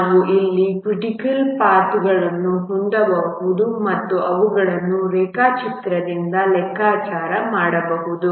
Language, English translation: Kannada, We can have the critical paths there and we can compute them from the diagram